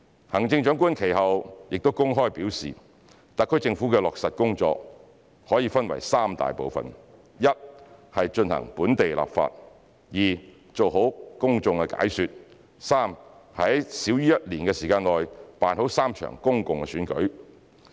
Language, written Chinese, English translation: Cantonese, 行政長官其後公開表示，特區政府的落實工作可分為三大部分，一是進行本地立法，二是做好公眾解說，三是在少於1年的時間內辦好3場公共選舉。, Subsequently the Chief Executive openly indicated that the work to be implemented by the SAR Government would consist of three main parts . First enact local laws; second provide explanations to the public; and third hold three public elections in less than a year